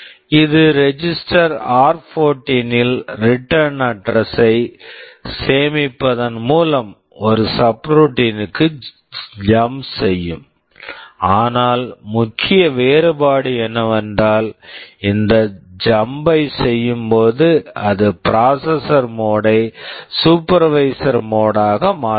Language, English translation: Tamil, This will also jump to a subroutine by saving the return address in some register r14, but the main difference is that while doing this jump it will also change the processor mode to supervisor mode